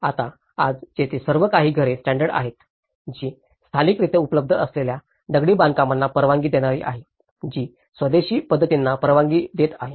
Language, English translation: Marathi, Now, today are there any particular housing standards, which is allowing a stone construction which is locally available which is allowing an indigenous methods